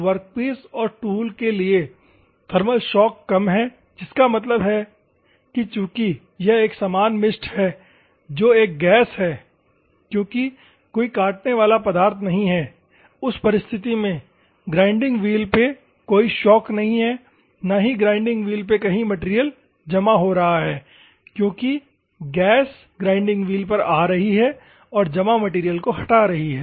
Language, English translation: Hindi, So, lower thermal shock for the workpieces and tool; that means that since it is a uniform mist which is a gas since there is no cutting fluid impinging or something in that circumstances, there is no shock and less clogging of wheel grains because the gas is forcibly impinging on to the grinding wheel